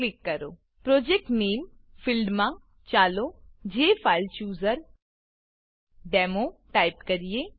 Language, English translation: Gujarati, In the Project Name field, lets type JFileChooserDemo